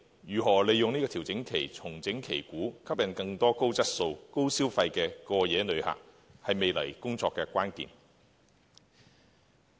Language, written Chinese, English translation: Cantonese, 如何利用調整期重整旗鼓，吸引更多高質素、高消費的過夜旅客，是未來工作的關鍵。, Our future work will focus on how to rally all the forces to make a comeback during the period of consolidation and attract more high - quality and high - spending overnight visitors to Hong Kong